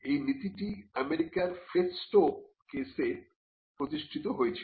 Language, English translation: Bengali, So, this principle was established in the festo case in the United States